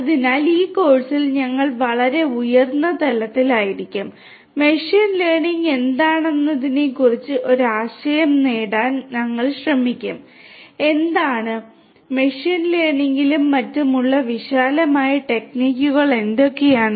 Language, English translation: Malayalam, So, in this course we will be at a very higher level and we will try to get just an idea about what is machine learning; what is what; what are the broad techniques that are there in machine learning and so on